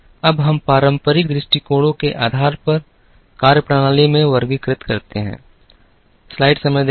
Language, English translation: Hindi, Now, we classify them into methodologies based on traditional approaches